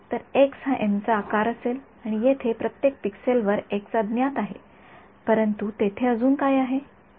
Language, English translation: Marathi, So, x is going to be of size n and at each pixel over here, x is the unknown, but what is also there